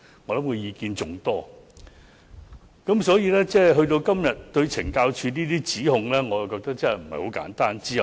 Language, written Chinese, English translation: Cantonese, 我認為部分議員剛才對懲教署的指控，內容並不簡單。, I find some Members accusations against CSD are not simple at all